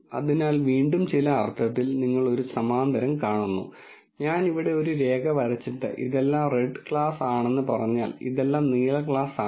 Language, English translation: Malayalam, So, again in some sense you see a parallel, saying if I were to draw a line here and then say this is all red class, this is all blue class